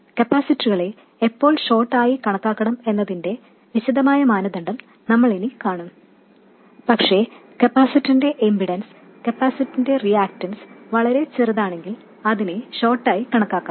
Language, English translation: Malayalam, We will see the detailed criteria when to treat the capacitors a short but if the impedance of the capacitor, if the reactance of the capacitor is very small it can be treated as a short